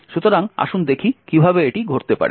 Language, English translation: Bengali, So, let us see how this can take place